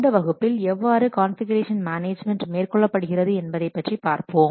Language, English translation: Tamil, Now let's see how configuration management is carried out